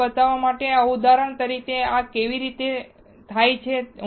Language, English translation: Gujarati, Just as an example to show you that, how this is done